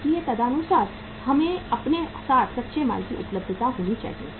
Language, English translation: Hindi, So accordingly we should have the availability of the raw material with us